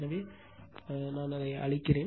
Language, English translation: Tamil, So, in now you clear it